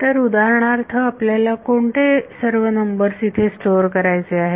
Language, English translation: Marathi, So, for example, what all numbers will you have to store